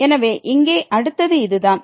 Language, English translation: Tamil, So, this is what the next here